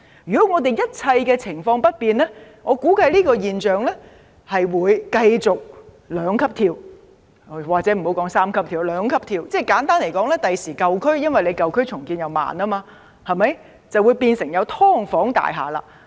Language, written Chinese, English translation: Cantonese, 如果一切情況不變，我估計這種現象會繼續兩級跳——或許不要說三級跳了——簡單而言，將來舊區因為重建緩慢，會出現"劏房"大廈。, If all conditions remain unchanged I expect the intensity of this phenomenon to go up by two notches―not to mention three―simply put due to the slow pace of the redevelopment of old areas in the future buildings housing subdivided units will be found in them